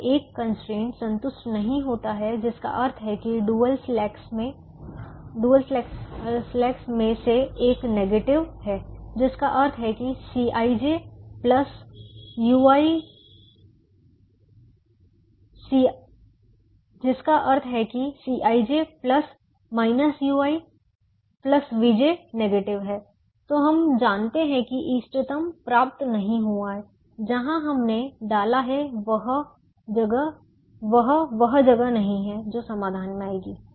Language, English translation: Hindi, when one constraint is not satisfied, which means one of the dual slacks is negative, which means c i j plus minus u i plus v j is negative, then we know that the optimum has not been reached